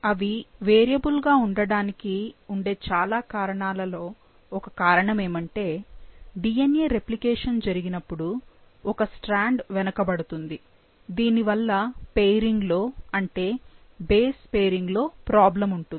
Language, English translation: Telugu, The reason for them being variable is that, is one of the reasons is that during DNA replication, one of the strand, it straggles behind and hence there is a problem in the pairing, in the base pairing